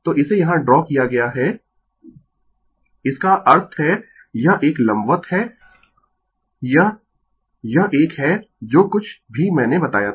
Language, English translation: Hindi, So, it is drawn here; that means, this one this one right it is vertically it is this one whatever I told